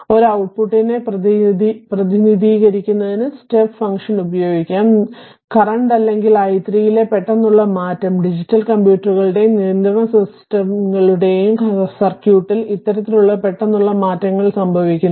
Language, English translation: Malayalam, So, step function can be used to represent an output abrupt sorry abrupt change in current or voltage and this kind of abrupt changes occur in the circuit of digital computers and control systems right